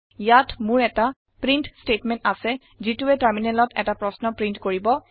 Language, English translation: Assamese, Here I have a print statement, which will print a question on the terminal